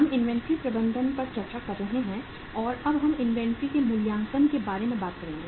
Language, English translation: Hindi, We are discussing the inventory management and now we will talk about the valuation of inventory